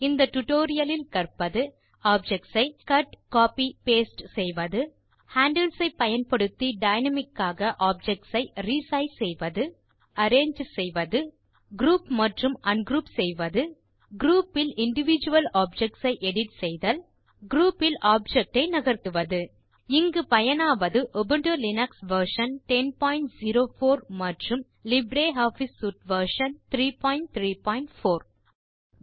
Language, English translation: Tamil, In this tutorial, you will learn how to: Cut, copy, paste objects Re size objects dynamically using handles Arrange Objects Group and ungroup objects Edit individual objects in a group Move objects within a group Here we are using Ubuntu Linux version 10.04 and LibreOffice Suite version 3.3.4